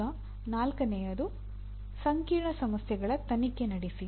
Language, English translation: Kannada, Now fourth one, conduct investigations of complex problems